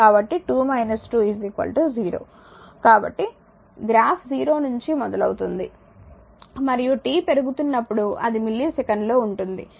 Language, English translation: Telugu, So, graph starts from 0 and right and when your when t is increasing it is in millisecond